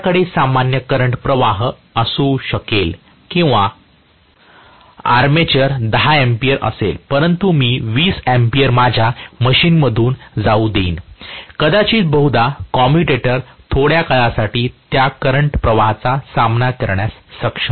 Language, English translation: Marathi, I may have the normal current or carried by an armature to be 10 amperes but I may allow 20 amperes to go through my machine, probably because the commutator will be able to withstand that much amount of current for a short while